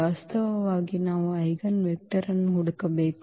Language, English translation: Kannada, Actually we have to look for the eigenvector